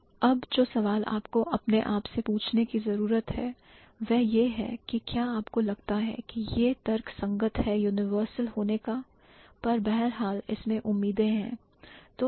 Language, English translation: Hindi, So, now the question that you need to ask yourself, do you think it's justifiable to have something as a universal but nonetheless has exceptions